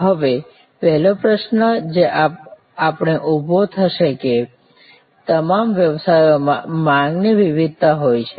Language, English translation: Gujarati, Now, the first question that we arise will be that demand variation is there in all businesses